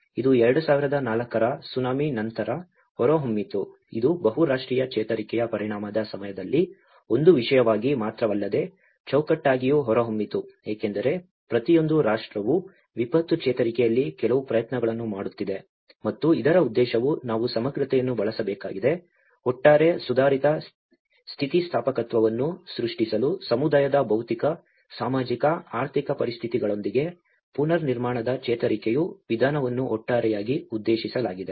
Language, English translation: Kannada, That is where we talk about the build back better; it emerged as after the 2004 Tsunami, it emerged not only as a theme but also as a framework during the multinational recovery effect because each and every nation is putting certain efforts in the disaster recovery and the intention of this is we have to use a holistic approach towards reconstruction recovery with the physical, social, economic conditions of a community are collectively addressed to create overall improved resilience